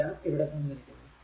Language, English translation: Malayalam, So, everything is given